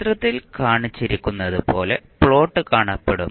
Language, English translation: Malayalam, The plot would look like as shown in the figure